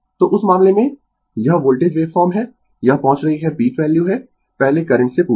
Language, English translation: Hindi, So, in that case this is the voltage wave form, it is reaching peak value earlier before the current